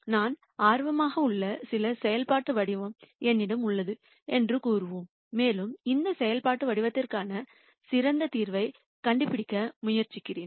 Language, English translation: Tamil, So, we will say that I have some functional form that I am interested in and I am trying to find the best solution for this functional form